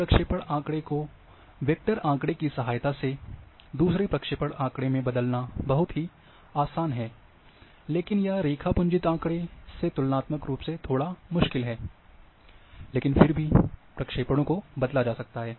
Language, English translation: Hindi, The It is very easy to change one projection data to another with a vector data, but it is rather little difficult comparatively, with raster data, but nonetheless the projections can be changed